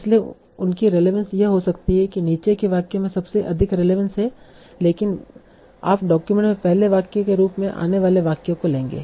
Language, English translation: Hindi, So although their relevance might be that the sentence at the bottom has the highest relevance, but you will take the sentence that is coming first in the document as the first sentence and so on